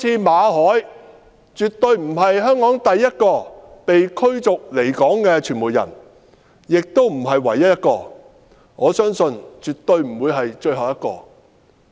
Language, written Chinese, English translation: Cantonese, 馬凱絕對不是香港第一位被驅逐離港的傳媒人，也不是唯一一位，也不會是最後一位。, Victor MALLET is definitely not the first media worker to be expelled from Hong Kong neither is he the only one nor the last one